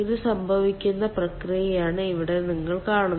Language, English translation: Malayalam, here you see that this is the process